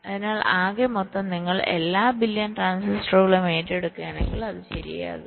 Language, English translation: Malayalam, so the sum total, if you take over all billions transistors, it can become significant right